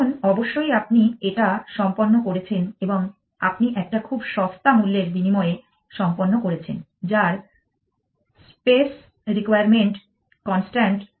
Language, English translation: Bengali, Then, of course you are done and you are done at a very inexpensive price the space requirement is constant